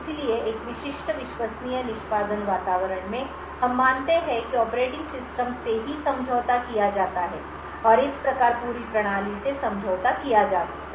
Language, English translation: Hindi, So, in a typical Trusted Execution Environment we assume that the operating system itself is compromised and thus the entire system may be compromised